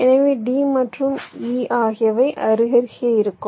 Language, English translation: Tamil, so d and e will be side by side